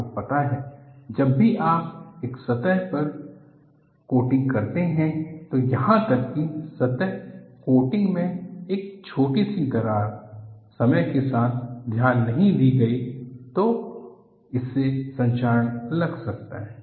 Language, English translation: Hindi, You know, whenever you put a surface coating, even a small crack in the surface coating, over a period of time, if unnoticed, can precipitate corrosion from that